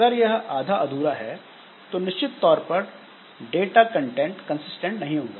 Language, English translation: Hindi, So if it is half done, half update is done, then naturally the content of the data will be inconsistent